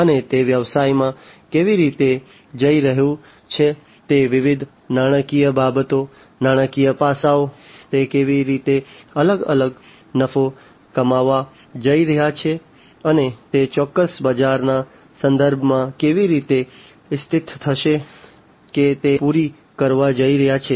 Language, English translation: Gujarati, And how it is going to the business is going to be positioned with respect to the different finances, the financial aspects, how it is going to earn the different profits, and how it is going to be positioned with respect to the specific marketplace that it is going to cater to